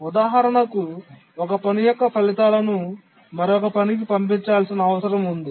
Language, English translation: Telugu, For example, the results of one task needs to be passed on to another task